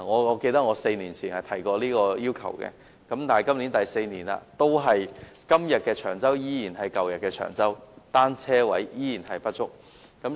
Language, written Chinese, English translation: Cantonese, 我記得我在4年前曾提出這要求，但4年已過去，今日的長洲依然是舊日的長洲，單車泊位依然不足。, I remember that I made this request four years ago but four years down the line todays Cheung Chau is the same Cheung Chau in the old days as bicycle parking spaces remain inadequate